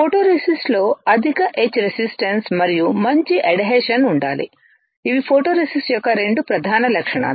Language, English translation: Telugu, The photoresist should have high etch resistance and good addition which are the main two properties of a photoresist